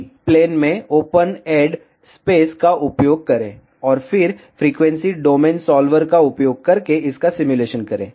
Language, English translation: Hindi, Use open add space in all the planes, and then simulate it using frequency domain solver